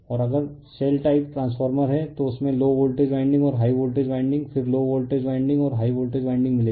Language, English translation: Hindi, And if the shell type transformer is there if you look into that you will find low voltage winding and high voltage winding, then low voltage winding and high voltage winding, right,